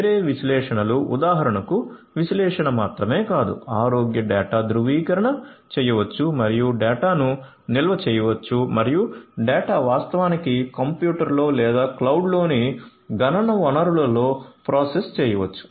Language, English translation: Telugu, Different other analysis for example not just analysis, but may be health data; health data verification can be performed and the data can be stored and the data can in fact, be also processed in a computer or a computational resource in the cloud and so on